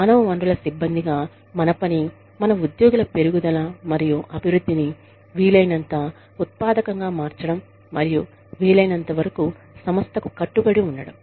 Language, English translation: Telugu, Our job, as human resources personnel, is to facilitate the growth and development of our employees, in such a way, that they become as productive as possible, and remain committed to the organization, as far as possible